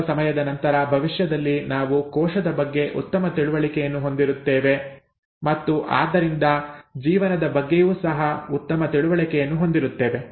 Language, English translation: Kannada, Hopefully sometime in the future we will have a better understanding of the cell and therefore a better understanding of life itself